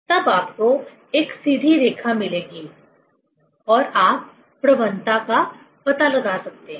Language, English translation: Hindi, Then you will get a straight line and you can find out the slope